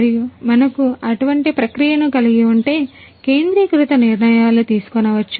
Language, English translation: Telugu, And if we can have a process by which centralized decisions can be made